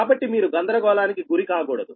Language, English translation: Telugu, so there should not be very confusion